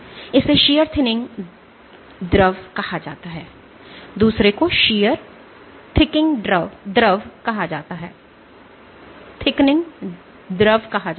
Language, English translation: Hindi, So, this is called a shear thinning fluid, this is called a shear thickening fluid